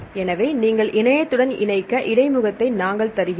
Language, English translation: Tamil, So then we give the interface so that you connect to the internet